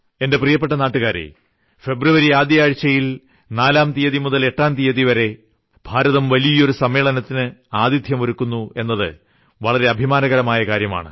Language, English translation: Malayalam, My dear countrymen, it is a matter of pride that India is hosting a major event from 4th to 8th of February